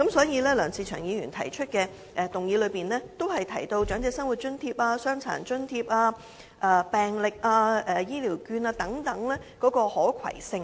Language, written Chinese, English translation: Cantonese, 因此，梁議員的議案，均提及長者生活津貼、傷殘津貼、病歷、醫療券等的可攜性。, Thus Mr LEUNG mentioned in his motion the portability of the Old Age Living Allowance Disability Allowance medical records and Health Care vouchers